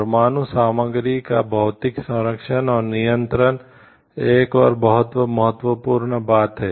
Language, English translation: Hindi, Physical protection and control of nuclear materials, this is another important very very important thing